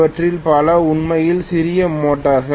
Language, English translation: Tamil, Many of them are really really small motors